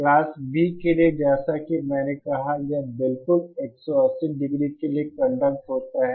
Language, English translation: Hindi, For the Class B as I said it conducts for exactly 180 degree